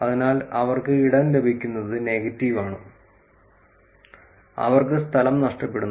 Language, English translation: Malayalam, So, they getting space gain negative, they are losing space